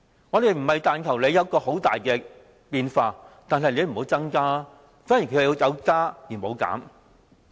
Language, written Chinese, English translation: Cantonese, 我們不是要求有很大變化，只是要求不要增加，但貧窮人口卻有加無減。, What we are actually asking for are not huge changes just an end to the increase in poverty population and yet we see growth instead